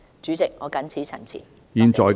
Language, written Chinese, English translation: Cantonese, 主席，我謹此陳辭，謝謝。, President I so submit . Thank you